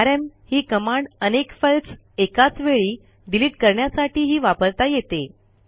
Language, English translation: Marathi, We can use the rm command with multiple files as well